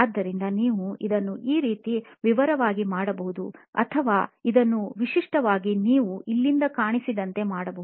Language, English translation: Kannada, So, you can do this as detailed as this or as generic as this you can see it here